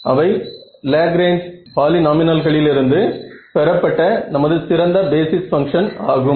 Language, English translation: Tamil, So, those were our very nice basis function which was derived from the Lagrange polynomials ok